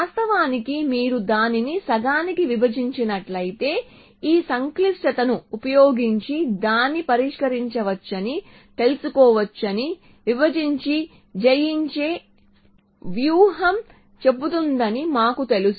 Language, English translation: Telugu, Of course, we know that divide and conquer strategy says that if you break it up into half then you can know solve it using this complexity